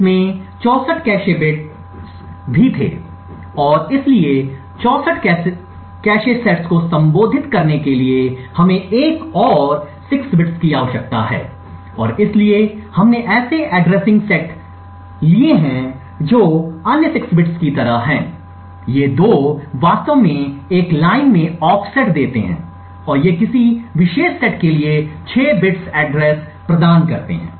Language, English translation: Hindi, It also had 64 cache sets and therefore in order to address 64 cache sets we need another 6 bits and therefore we have set addressing which has like another 6 bits, these 2 actually give the offset with in a line and these 6 bits provide the address for a particular set